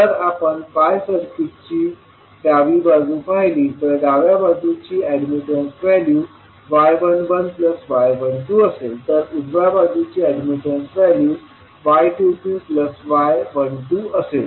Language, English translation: Marathi, So, if you see the left leg of the pi circuit, the value of left leg admittance would be y 11 plus y 12